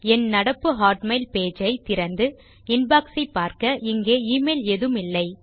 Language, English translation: Tamil, You can see when I open up my current hotmail page and click on Inbox, there are no emails here from me